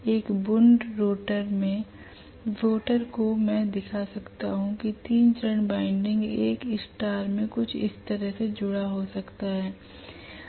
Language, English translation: Hindi, The rotor ones in a wound rotor I can show the 3 phase windings may be connected in a star somewhat like this